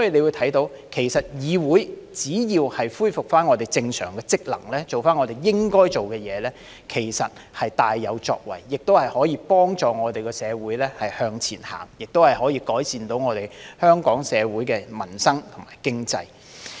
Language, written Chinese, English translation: Cantonese, 由此可見，議會只要恢復正常職能，做回我們應該做的事情，其實是會大有作為的，亦能幫助我們社會向前走，改善香港社會民生和經濟。, All these are motions and projects related to peoples livelihood . From this it is evident that as long as the Council resumes its normal functions and does what we are supposed to do it will actually be able to make great achievements and help our society move forward to improve peoples livelihood and the economy of Hong Kong